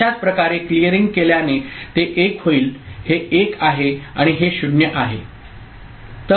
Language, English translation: Marathi, So, similarly for clearing will make it 1 this is 1 and this is 0